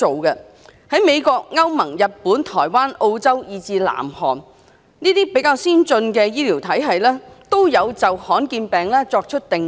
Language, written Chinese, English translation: Cantonese, 在美國、歐盟、日本、台灣、澳洲，以至南韓，這些比較先進的醫療體系，都有就罕見病作出定義。, More advanced health care systems such as the systems of the United States European Union Japan Taiwan Australia and South Korea have laid down a definition on rare diseases . The definition laid down in the United States is the most generous